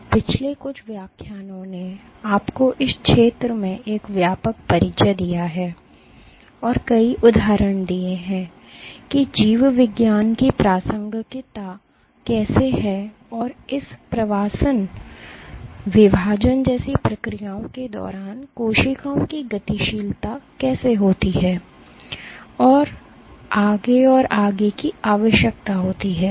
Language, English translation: Hindi, So, over the last few lectures have given you a broad introduction to this field, and given several instances as to how forces are of relevance to biology and how dynamics of cells during processes like migration division so on and so forth, required forces and interactions between cells and their surroundings